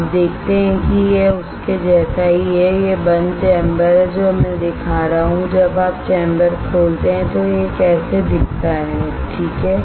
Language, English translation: Hindi, You see this is similar to this one alright, this is the closed chamber now what I am showing is when you open the chamber how it looks like alright